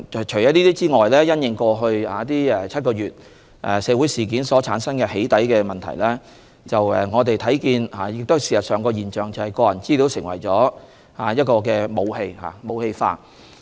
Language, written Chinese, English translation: Cantonese, 此外，從過去7個月的社會事件所產生的"起底"問題可見，事實上，個人資料已成為一種武器或被"武器化"。, Moreover as seen from the doxxing cases arising from the social incidents that occurred in the past seven months personal data has actually become sort of a weapon or has been weaponized